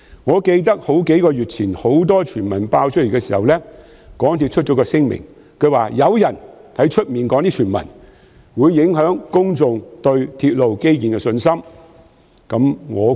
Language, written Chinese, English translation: Cantonese, 我記得在數月前出現眾多傳聞時，港鐵公司發出聲明，指有人在外邊提出的傳聞會影響公眾對鐵路基建工程的信心。, I remember that when various rumours began to circulate several months ago MTRCL issued a statement asserting that the rumours spread by someone outside would undermine public confidence in railway infrastructure projects